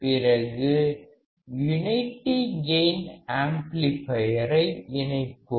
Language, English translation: Tamil, Then we can connect the unity gain amplifier